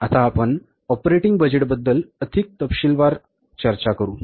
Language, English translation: Marathi, Now, we will discuss the operating budget a little bit more in detail